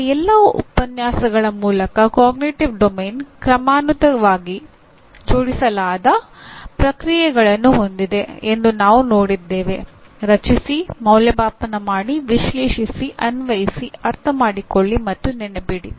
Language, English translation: Kannada, And Cognitive Domain till now through all our lectures we have seen has processes been hierarchically arranged, Create, Evaluate, Analyze, Apply, Understand, and Remember